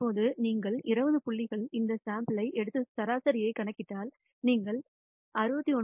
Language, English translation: Tamil, Now, if you take this sample of 20 points and compute the mean, you get a value of 69